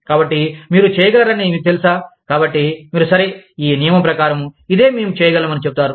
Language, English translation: Telugu, So, that you are able to, you know, so, you will say, okay, according to this rule, this is what, we can do